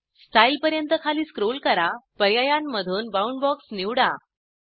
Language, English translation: Marathi, Scroll down to Style, and select Boundbox from the options